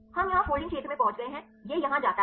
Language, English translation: Hindi, We extrapolated here in the folding region it goes to here